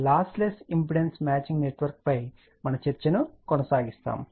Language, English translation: Telugu, We will continue our discussion on lossless impedance matching network